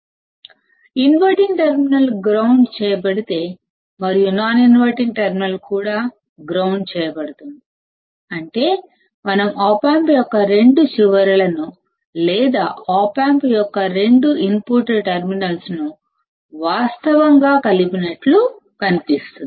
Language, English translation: Telugu, If inverting terminal is grounded and the non inverting is also grounded, that means, it looks like we are virtually shorting the two ends of the op amp or the two input terminals of the op amp